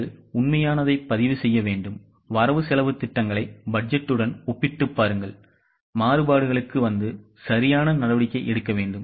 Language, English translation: Tamil, You have to record the actuals, compare the actuals with budget, arrive at variances and take corrective action